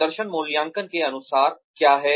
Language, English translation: Hindi, What per performance appraisals are